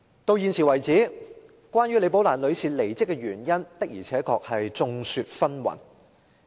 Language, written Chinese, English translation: Cantonese, 到現時為止，關於李寶蘭女士的離職原因的而且確眾說紛紜。, To date opinions differ when it comes to the reasons behind Ms Rebecca LIs departure from ICAC